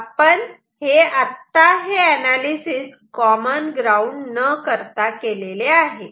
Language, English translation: Marathi, So, the analysis that we have done is for the case without common ground